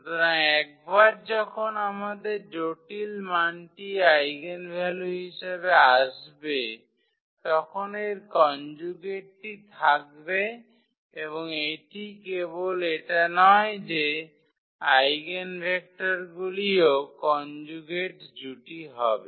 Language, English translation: Bengali, So, the once we have the complex value as the eigenvalue its conjugate will be there and not only that the eigenvectors will be also the conjugate pairs